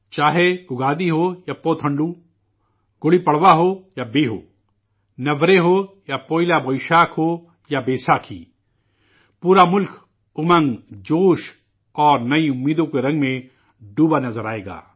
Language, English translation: Urdu, Be it Ugadi or Puthandu, Gudi Padwa or Bihu, Navreh or Poila, or Boishakh or Baisakhi the whole country will be drenched in the color of zeal, enthusiasm and new expectations